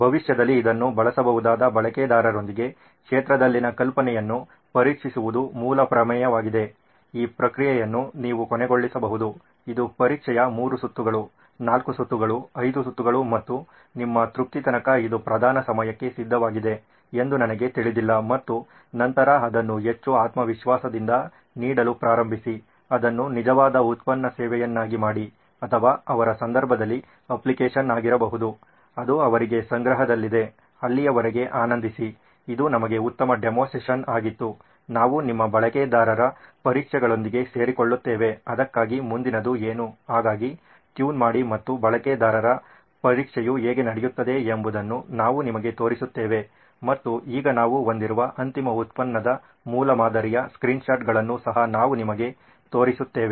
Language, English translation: Kannada, The basic premise is to test out the idea on the field with users who potentially may use this in the future, this is you can end this process is iterative, it goes on I do not know test three rounds, four rounds, five rounds and till your satisfied that yes it is ready for prime time and then start giving it more flesh and blood, make it a real product service or in their case may be an app, that is what is lying in store for them, well till then enjoy, this was a great demo session for us, we will join you with the user tests so that is what is up next for that, so keep tuned and we will show you how the user test go and now we will also be showing you the screenshots of the final product that we have, prototype that we have, thank you so much take care